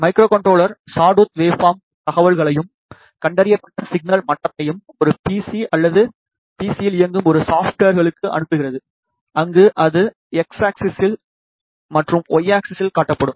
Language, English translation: Tamil, The microcontroller sends the sawtooth waveform information and the detected signal level to a PC or to a software which is running on a PC, where it is displayed along the X axis and Y axis